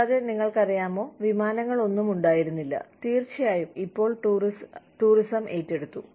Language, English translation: Malayalam, And, you know, there were no flights, of course, tourism has taken over